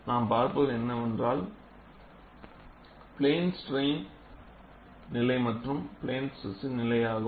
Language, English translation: Tamil, We look at for plane stress as well as for plane strains situation